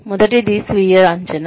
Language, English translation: Telugu, The first one is, self assessment